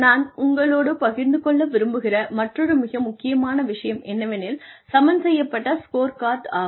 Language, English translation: Tamil, The other, very important thing, that I would like to share with you, is the balanced scorecard